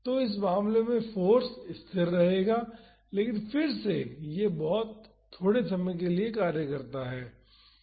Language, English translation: Hindi, So, in this case the force will be constant, but again it acts for a short duration